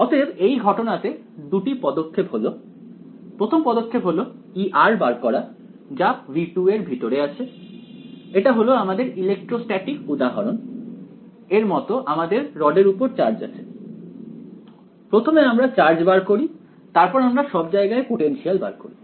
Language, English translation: Bengali, So, the 2 steps are in this case the first step is find E of r inside v 2, this was like our electrostatic example we had of the charge on the rod first find the charge then find the potential everywhere you cannot directly find the potential everywhere